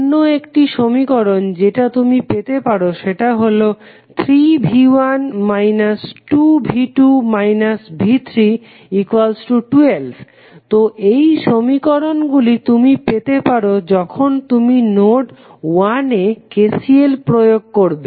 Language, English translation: Bengali, So, one equation which you got is 3V 1 minus 2V 2 minus V 3 is equal to 12, so this is the equation you got while applying KCL at node 1